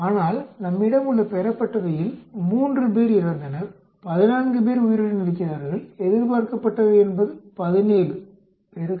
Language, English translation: Tamil, But we observed is 3 died, 14 are alive, expected is 17 into 0